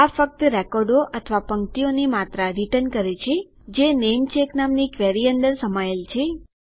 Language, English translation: Gujarati, It just returns the amount of records or rows that are contained within your query which is called namecheck